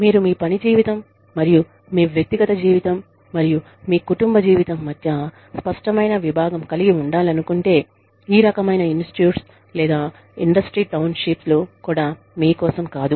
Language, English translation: Telugu, If you like to have, clear compartments, between your work life, and your personal life, and your family life, then these kinds of institutes, or maybe, even industry townships, are not for you